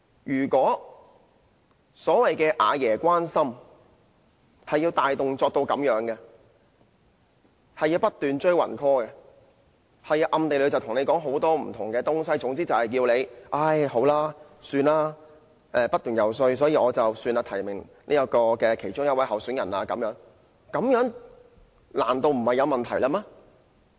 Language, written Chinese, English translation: Cantonese, 如果所謂"阿爺關心"涉及如此大動作，即不斷"追魂 call"、暗地裏跟選委說了很多話，總之要他們經不起不斷遊說而改變初衷，變成提名某一位候選人，這樣做難道沒有問題嗎？, If the concern of Grandpa has to involve so many major manoeuvres such as calling EC members endlessly or engaging them in lengthy secret conversations just for the sake of changing their minds so that they would nominate a particular candidate after incessant lobbying can we say that this is perfectly acceptable?